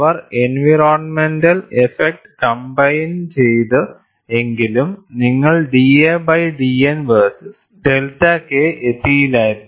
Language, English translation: Malayalam, If he had combined the environmental effects, you would not have arrived at d a by d N versus delta K